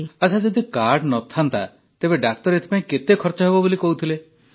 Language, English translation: Odia, If there was no card, how much cost did the doctor say earlier